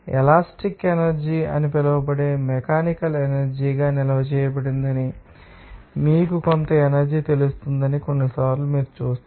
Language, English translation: Telugu, Sometimes you will see that some energy will be you know that stored as a mechanical energy that is called elastic energy